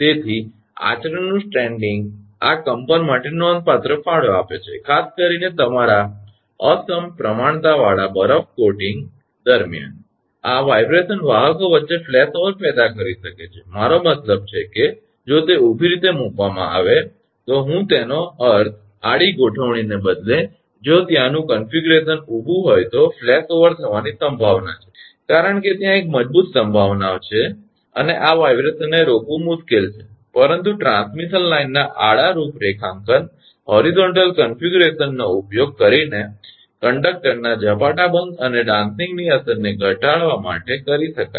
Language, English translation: Gujarati, So, the stranding of conduct are significantly contributes to this vibration, particularly during your asymmetrical ice coating, these vibrations may cause flashover between conductors, I mean if they are vertically placed right, I mean instead of horizontal configuration if their configuration is vertical then there is a possibility of flash over because there is a strong possibility, and it is difficult to prevent this vibration, but horizontal configuration of transmission line can be used to reduce the impact of galloping or dancing of conductor